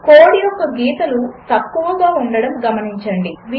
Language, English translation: Telugu, Note that the lines of code are less